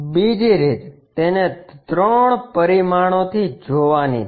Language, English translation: Gujarati, The other way is look at it in three dimensions